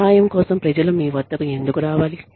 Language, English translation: Telugu, Why should people come to you, for help